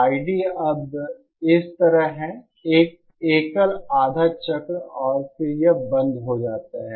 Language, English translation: Hindi, I D is now like this, a single half cycle and then it stops